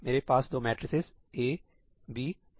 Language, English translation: Hindi, I have two matrices A, B